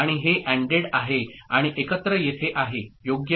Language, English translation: Marathi, And this is ANDed, and together it goes here right